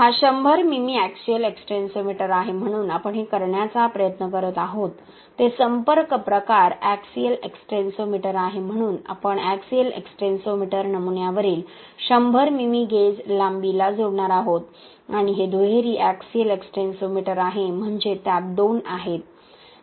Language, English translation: Marathi, This is a 100 mm axial extensometer so what we are trying to do this is a contact type axial extensometer so we will be attaching the axial extensometer to a 100 mm gauge length on the specimen and this is a dual axial extensometer that means it has two axial extensometers and what we get is average of both the displacement from the two sides, okay